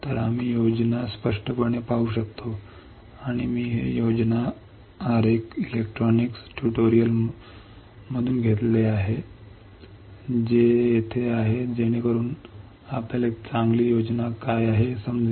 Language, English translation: Marathi, So, that we can see the schematic clearly and I have taken this schematic diagram from electronics tutorials which is right over here so that you can understand what is a good schematic